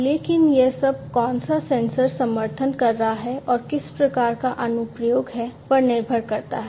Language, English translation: Hindi, But it all depends, you know, which sensor is supporting, which type of application